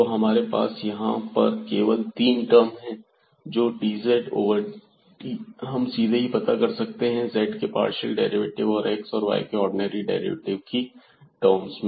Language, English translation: Hindi, So, dz over dt we can find out directly in terms of the partial derivatives of z and the ordinary derivatives of x and y